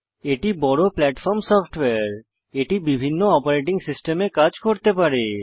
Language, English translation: Bengali, It is a cross platform software, which means it can run on various operating systems